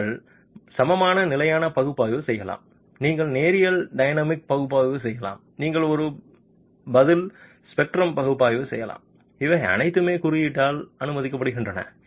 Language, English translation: Tamil, You can do an equivalent static analysis, you can do linear dynamic analysis, you could do a response spectrum analysis, these are all permitted by the code